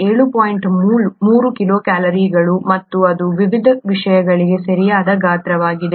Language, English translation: Kannada, 3 kilocalories per mole and that’s about the right size for various things